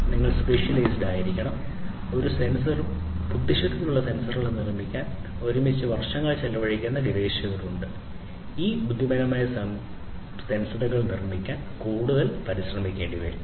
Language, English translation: Malayalam, So, you need to be specialized, you know, there are researchers who spend years together to build a sensor and intelligent sensors it will take even more you know effort to build these intelligent sensors